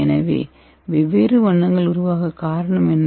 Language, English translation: Tamil, So what is the reason for these colors